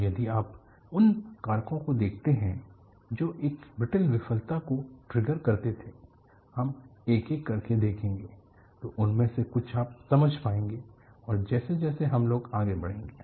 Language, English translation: Hindi, And if you look at the factors that triggered a brittle failure,we will see one by one; some of them we willbe able to understand; some of them we will develop the understanding, as we go by